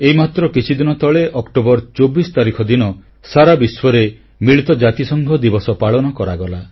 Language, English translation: Odia, United Nations Day was observed recently all over the world on the 24th of October